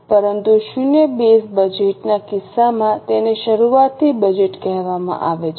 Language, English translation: Gujarati, But in case of zero base budget it is called as budgeting from scratch